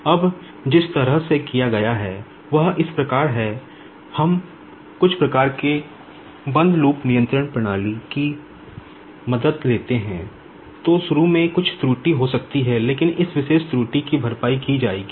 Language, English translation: Hindi, Now, the way it is done is as follows, we take the help of some sort of the closed loop control system